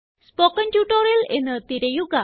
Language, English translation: Malayalam, Search for spoken tutorial